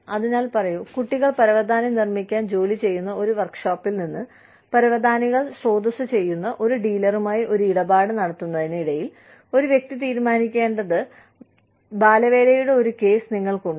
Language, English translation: Malayalam, So, say, you have a case of child labor, where a person has to decide, between making a deal with a dealer, who sources carpets, from a workshop, where children are employed, to make carpets